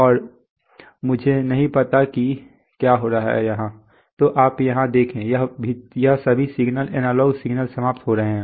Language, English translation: Hindi, And oops I do not know what is happening yeah, so you see here, these are all these signals analog signals are getting terminated